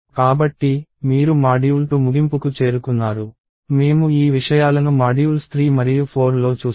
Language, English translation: Telugu, So, you have reached the end of the module 2, we will see these things in modules 3 and 4